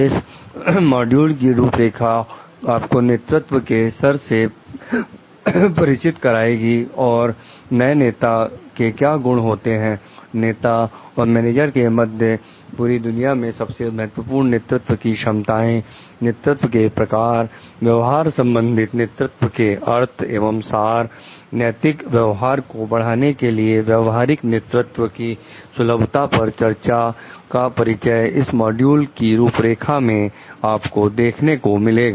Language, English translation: Hindi, So, the outline of the module will be introduction to an essence of leadership, important characteristics of leaders, leaders versus managers, most important competencies of leaders around the world, forms of leadership styles, meaning and essence of transactional leadership, discussing the suitability of transactional leadership for promoting ethical conduct